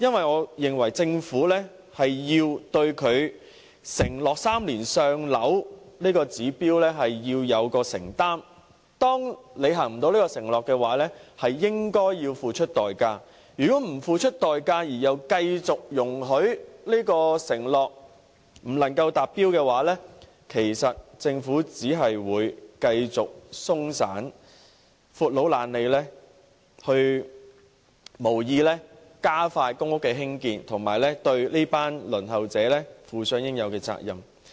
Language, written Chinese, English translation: Cantonese, 我認為政府要對其 "3 年上樓"的承諾有所承擔，當未能履行承諾時，便應付出代價，如果不付出代價而容許這承諾久久不能實踐，政府便只會繼續鬆懈、"闊佬懶理"，無意加快興建公屋，對這群輪候者負上應有的責任。, I think the Government should honour its undertaking of a three - year waiting time for PRH allocation and when it fails to honour the undertaking it has to pay a price . If the Government does not have to pay a price and allows the undertaking to remain unhonoured for a long time it will continue to act perfunctorily with no intent to speed up the construction of PRH so as to assume its responsibility towards the applicants waiting for PRH